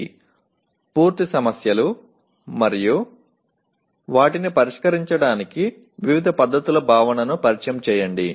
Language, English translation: Telugu, Introduce the concept of NP complete problems and different techniques to deal with them